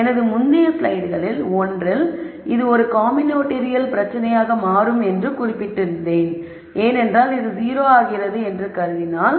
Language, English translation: Tamil, So, in one of the previous slides I had mentioned that this becomes a combinatorial problem because we could also assume that this goes to 0